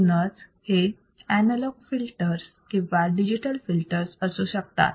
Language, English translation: Marathi, So, it can be analog filters or it can be digital filters